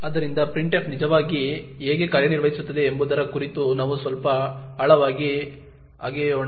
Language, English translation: Kannada, So, let us dig a little deeper about how printf actually works